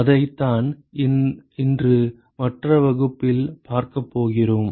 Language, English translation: Tamil, And that is what we are going to see for the rest of the class today